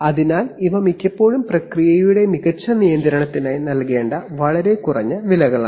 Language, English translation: Malayalam, So these are often very low prices to pay for a better control of the process